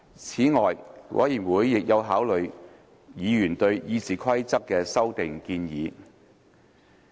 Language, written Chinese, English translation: Cantonese, 此外，委員會亦有考慮議員對《議事規則》的修訂建議。, Besides the Committee also considered amendments to the Rules of Procedure proposed by Members